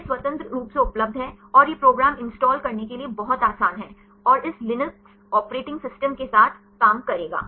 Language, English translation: Hindi, This is freely available and this program is very easy to install and will work with this Linux operating systems